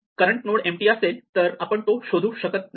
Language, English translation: Marathi, So, if the current node is empty we cannot find it